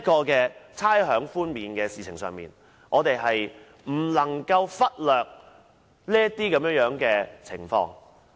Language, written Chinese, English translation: Cantonese, 在差餉寬免一事上，我們不能忽略上述情況。, When it comes to the discussion on rates concession we cannot ignore the aforesaid situation